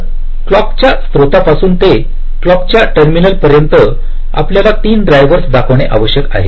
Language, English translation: Marathi, so from the clock source to the clock terminals, you need exactly three drivers to be traversed